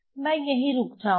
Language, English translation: Hindi, So, I will stop here